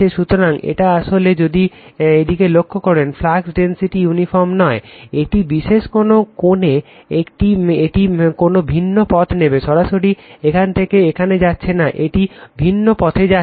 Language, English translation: Bengali, So, it is actually if you look into that, the flux density is not uniform right, the particular the corner it will taking some different path, not directly going from this to that right, it is taking some different path